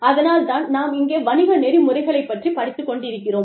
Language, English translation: Tamil, That is why, we are studying business ethics here